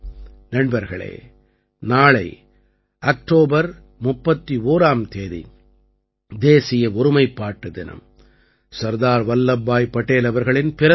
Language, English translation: Tamil, Friends, Tomorrow, the 31st of October, is National Unity Day, the auspicious occasion of the birth anniversary of Sardar Vallabhbhai Patel